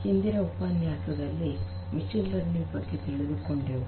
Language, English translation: Kannada, In the previous lecture, we got an overview of machine learning